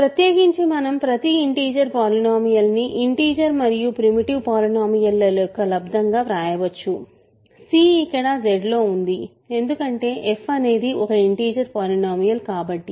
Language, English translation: Telugu, In particular we can write every integer polynomial as a product of an integer and a primitive polynomial; of course, c is in Z here because